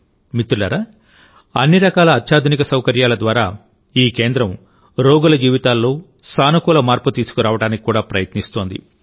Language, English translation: Telugu, Friends, through all kinds of hitech facilities, this centre also tries to bring a positive change in the lives of the patients